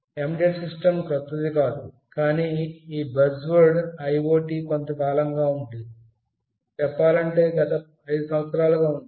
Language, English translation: Telugu, Embedded system was not new, but this buzzword IoT is there for quite some time let us say last 5 years